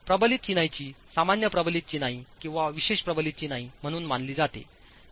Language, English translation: Marathi, Reinforce masonry treated as ordinary reinforced masonry or special reinforced masonry